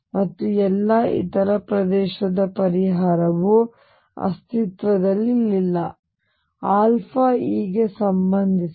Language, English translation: Kannada, And for all the other region solution does not exists, now alpha is related to e